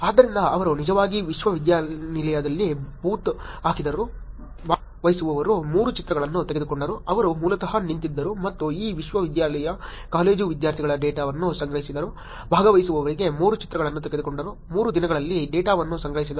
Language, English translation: Kannada, So, what they did was they actually put a booth in the university, took 3 pictures of the participant, they basically were standing and collecting data of the college students in this university took 3 pictures for participant, collected data over 3 days